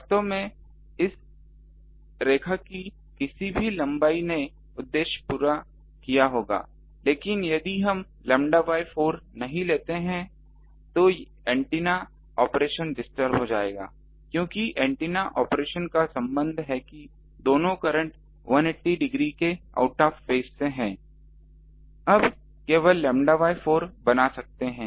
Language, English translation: Hindi, Actually any length of line of this would have done the purpose, but if we don't take lambda by 4 then the antenna operations will be disturbed because antenna operations have that relation that two currents are 180 degree out of phase